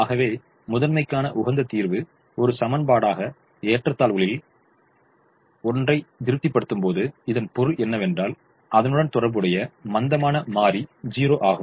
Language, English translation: Tamil, so when the optimum solution to the primal satisfies one of the inequalities as an equation, then it means that the corresponding slack variable is zero